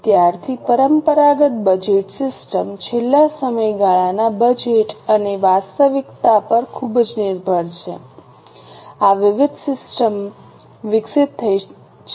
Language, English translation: Gujarati, Since the traditional budgeting system is heavily dependent on last periods budget and actual, this different system has been evolved